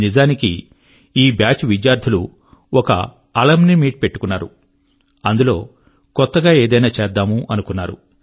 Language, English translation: Telugu, Actually, students of this batch held an Alumni Meet and thought of doing something different